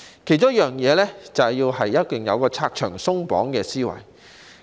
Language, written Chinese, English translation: Cantonese, 其中一樣是要有"拆牆鬆綁"的思維。, One of them is the mindset of removing barriers and restrictions